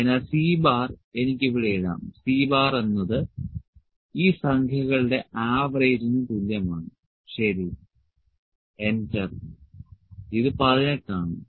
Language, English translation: Malayalam, So, C bar I can put here, C bar this is equal to average of these numbers, ok, enter, it is 18